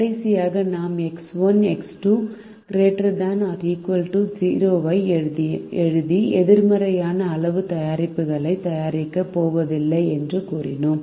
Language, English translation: Tamil, last, we wrote x one x two greater than or equal to zero and said that we are not going to produce negative quantities of the products